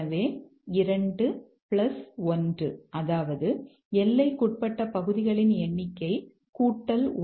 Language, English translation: Tamil, So, 2 plus 1, number of bounded areas plus 1